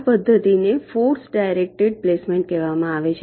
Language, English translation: Gujarati, this method is called force directed placement